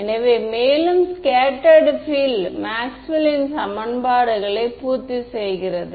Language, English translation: Tamil, So, also does the scattered field satisfy the Maxwell’s equations right